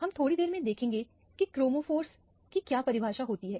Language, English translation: Hindi, We will see, what is the definition of chromophore in a while